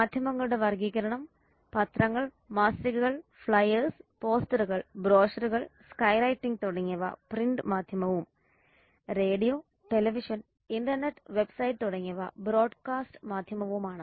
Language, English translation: Malayalam, the classification of media that consist of newspapers magazine flyers posters sky writing brochure wall painting etc and the broadcast there is radio television film internet websites satellite and cable etc